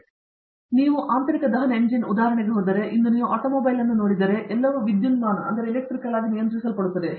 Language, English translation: Kannada, Again, if you go back to internal combustion engine example, if you look at an automobile today, everything is electronically controlled